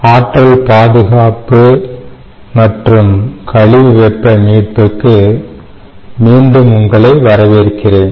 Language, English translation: Tamil, welcome back to energy conservation and waste heat recovery